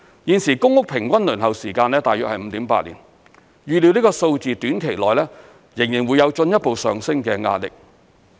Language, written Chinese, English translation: Cantonese, 現時公屋平均輪候時間大約 5.8 年，預料這數字短期內仍會有進一步上升的壓力。, At present the average waiting time for PRH is about 5.8 years and it is expected that this number will continue to rise in the short term